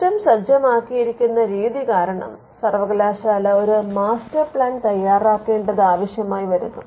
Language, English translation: Malayalam, Now, because of the way in which the system is set it is necessary that the university comes up with a business plan